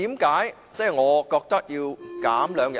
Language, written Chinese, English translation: Cantonese, 為何我覺得要減少兩天呢？, Why do I think that the notice period must be shortened by two days?